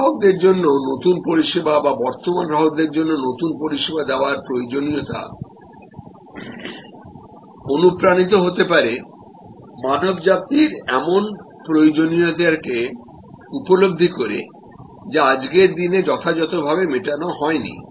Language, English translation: Bengali, new service to new customers or even new service to existing customer can be stimulated by sensing human needs sensing needs that are not properly fulfilled not adequately met today